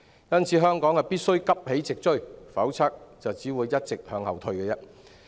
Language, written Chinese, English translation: Cantonese, 因此，香港必須急起直追，否則便只會一直向後退。, Therefore Hong Kong must catch up immediately otherwise we will only keep declining